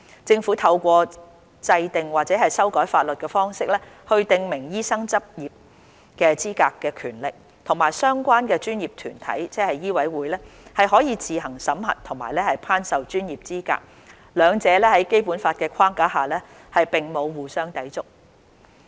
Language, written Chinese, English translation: Cantonese, "政府透過制定或修改法律的方式來訂明醫生執業的資格的權力，與相關專業團體，即醫委會，可自行審核和頒授專業資格，兩者在《基本法》框架下，並沒有互相抵觸。, Under the Basic Law the power of the Government to determine the qualifications for practice in the medical profession through the enactment or amendment of laws is not in conflict with the authority of the relevant professional organization ie